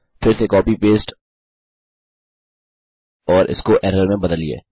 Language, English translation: Hindi, Again copy paste and change that to error